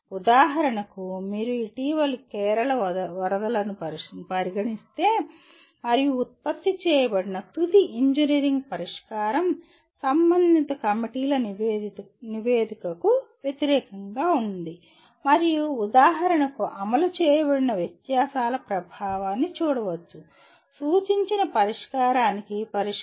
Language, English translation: Telugu, That is one can inspect for example you can look at the recent Kerala floods and the kind of final engineering solution that is produced was against the report of the concerned committees and one can see the amount of for example the impact of the deviations from of implemented solution to the suggested solution